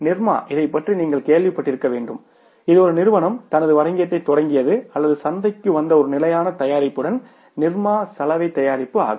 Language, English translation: Tamil, Nirma you must have heard about this is a company which started its business or came into the market with one standard product that was the Nirma washing powder